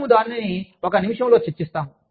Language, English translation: Telugu, We will discuss it, in a minute